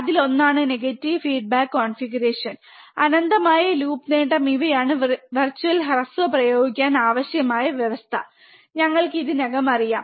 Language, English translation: Malayalam, One is negative feedback configuration, and infinite loop gain these are the required condition to apply virtual short, we already know